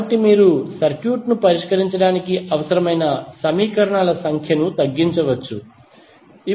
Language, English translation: Telugu, So it means that you can reduce the number of equations required to solve the circuit